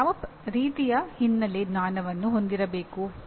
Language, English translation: Kannada, What kind of background knowledge that you need to have